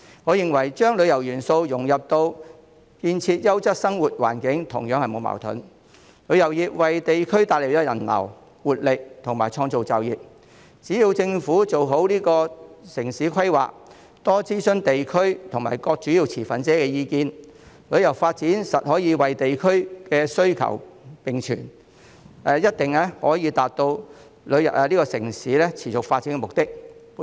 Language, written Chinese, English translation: Cantonese, 我認為將旅遊元素融入建設優質生活環境同樣並無矛盾，旅遊業為地區帶來人流、活力和創造就業，只要政府做好城市規劃，多諮詢地區及各主要持份者的意見，旅遊發展可以與地區需求並存，一定可以達到城市持續發展的目的。, I opine that there is also no conflict in incorporating tourism elements into building a quality living environment . Tourism brings people flow vitality and jobs to the districts . The development of tourism can coexist with district needs as long as the Government can draw up better urban planning and consult various districts and major stakeholders